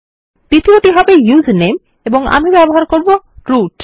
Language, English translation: Bengali, The second one will be username and Ill use root